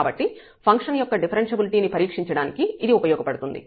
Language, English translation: Telugu, So, this is useful in testing the differentiability of the function